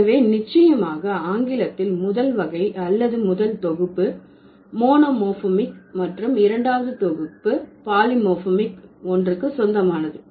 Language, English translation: Tamil, So, for sure in English, the first category or the first set belongs to monomorphic and the second set belongs to the polymorphic word